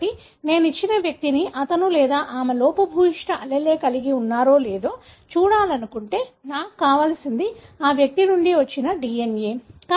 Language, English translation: Telugu, So, if I want to see a given individual whether he or she carries a defective allele, what I need is the DNA from that individual